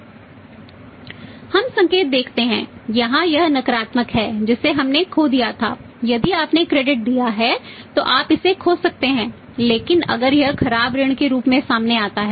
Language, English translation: Hindi, We see the sign here it is negative which we had lost miss you would have lost in case of granting the credit but if it turns out as a bad debt